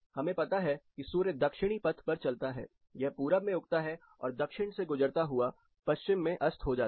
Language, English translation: Hindi, You know it has a Southern traverse and it rises in the east, traverses through south and sets in the west